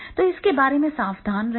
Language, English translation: Hindi, So, be careful about that